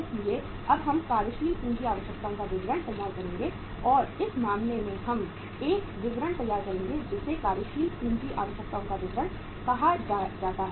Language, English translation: Hindi, so now we will prepare a statement of the working capital requirements and in this case we will uh prepare a statement which is called as a statement of working capital requirements